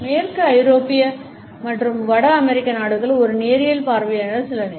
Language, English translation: Tamil, The western European and North American countries few time as a linear vision